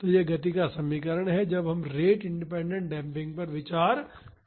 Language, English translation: Hindi, So, this is the equation of motion when we consider rate independent damping